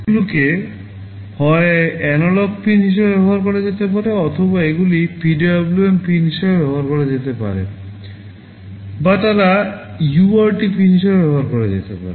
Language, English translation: Bengali, They can either be used as an analog pin or they can be used as a PWM pin or they can be used as a UART pin